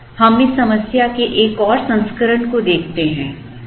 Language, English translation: Hindi, Now, let us look at one more version of this problem